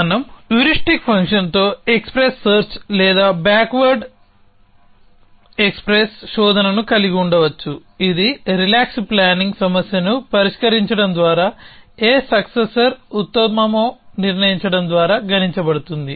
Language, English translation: Telugu, We could have powers express search or backward express search with the heuristic function which was computed by solving a relax planning problem a to decide which successor is best